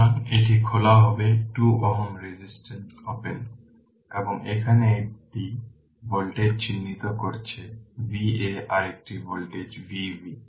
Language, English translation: Bengali, So, it will be open 2 ohm resistance is open, and we have marked one voltage here V a another voltage is V b